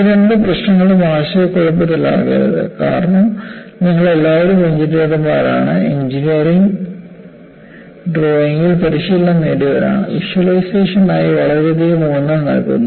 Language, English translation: Malayalam, So, do not confuse these two issues, because you are all engineers, trained in engineering drawing, where lot of emphasize is given for visualization